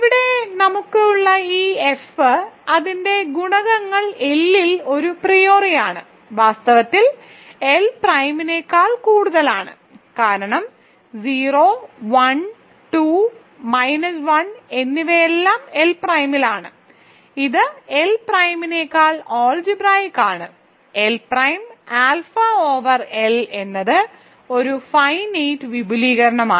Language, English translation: Malayalam, So, that this F that we have here whose coefficients are a priori in L are in fact, over L prime because, a 0, a 1, a 2, a n minus 1 are all in L prime, so it is algebraic over L prime and hence L prime alpha over L is a finite extension